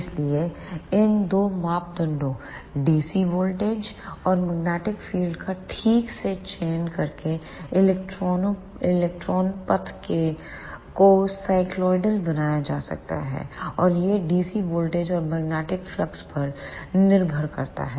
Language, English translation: Hindi, So, by properly selecting these two parameters dc voltage and the magnetic field, the electrons path can be made cycloidal, and that depends on the dc voltage and the magnetic flux